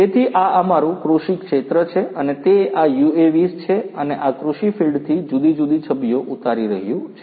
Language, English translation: Gujarati, So, this is our agricultural field and it is being you know this UAV is flying and capturing the different images from this agricultural field